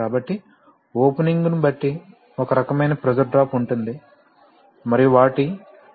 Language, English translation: Telugu, So depending on the opening there will be a kind of pressure drop and their final pressure will be realized here